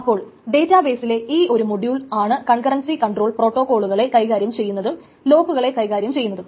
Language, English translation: Malayalam, So, this is the module in the database that handles this concurrency control protocols and handles the locks, etc